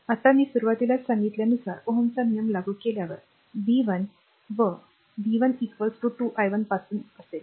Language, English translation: Marathi, Now, by ohms' law ah by ohms' law, I told you at the beginning that v 1 will be ah from ah from v 1 is equal to 2 i 1